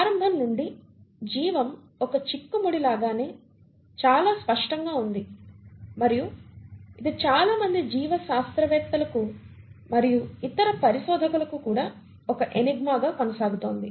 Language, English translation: Telugu, Now since its inception, it is very clear that life has been an enigma and it continues to be an enigma for a lot of biologists as well as other researchers